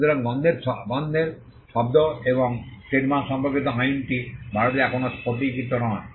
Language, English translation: Bengali, So, we the law with regard to smell sound and trademarks is still not crystallized in India